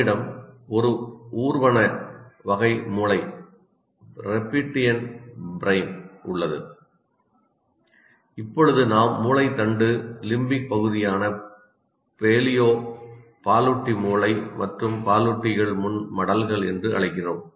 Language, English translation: Tamil, We have reptilian brain, what we call brain stem, paleo mammalian brain that is limbic area, we call it limbic area, and mammalian that is frontal lobes